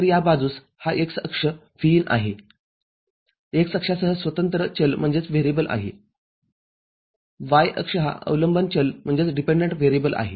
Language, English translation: Marathi, So, this side this x axis is Vin, independent variable along the x axis; y axis is the dependent variable Vout